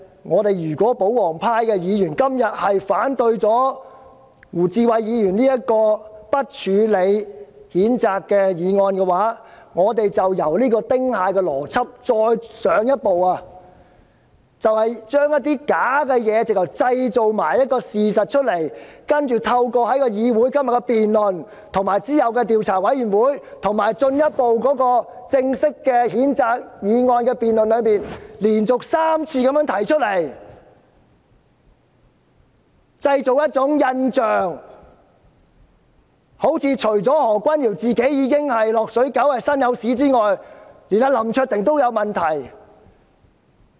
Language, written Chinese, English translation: Cantonese, 然而，如果保皇派議員今天反對胡志偉議員提出的"不處理譴責"議案，便是比"丁蟹邏輯"更進一步，將虛假的事情包裝成事實，利用議會今天的辯論、其後的調查委員會，以及再之後的正式譴責議案辯論，連續3次製造假象，彷彿除了何君堯議員是"落水狗"、"身有屎"之外，連林卓廷議員也有問題。, However if royalist Members oppose the motion moved by Mr WU Chi - wai not to take further action on the censure motion they will go beyond the Ting Hai logic in packaging something false into facts . They will make use of todays debate the subsequent investigation committee and the subsequent formal debate on the censure motion to create an illusion for three times in a row ie